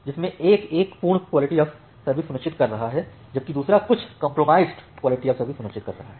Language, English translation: Hindi, One is ensuring a perfect QoS, another one is ensuring some compromised QoS